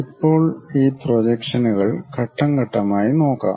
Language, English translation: Malayalam, Now, let us look at these projections step by step